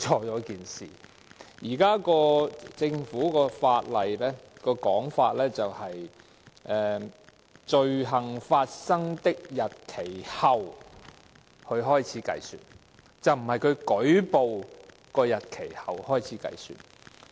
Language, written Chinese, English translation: Cantonese, 現時政府的法案的說法是由"罪行發生的日期後"開始計算，而並非由舉報的日期後開始計算。, The prosecution time limit in the Bill introduced by the Government starts to run after the date of the commission of the offence but not after the date of the reporting of the offence